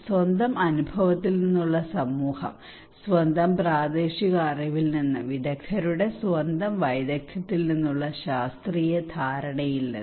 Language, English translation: Malayalam, Community from their own experience, from own local knowledge, and the expert from their own expertise scientific understanding